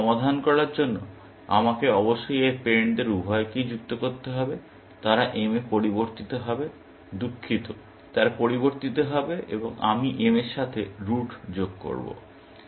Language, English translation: Bengali, So, I must add both its parents to solve; they will change to m, sorry, they will change and I will add root to m